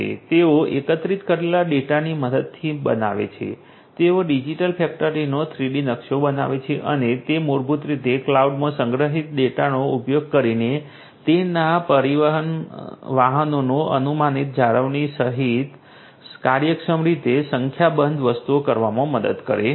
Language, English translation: Gujarati, They create with the help of the data collected, they create the 3D map of the digital factory and that basically helps in doing number of things efficiently including predictive maintenance of their transport vehicles using the data that is stored in the cloud